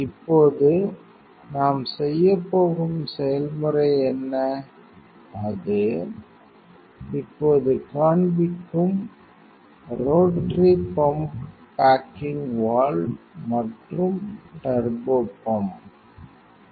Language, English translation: Tamil, Now, what are the process we are going to on; it will show now, rotary pump baking valve and turbopump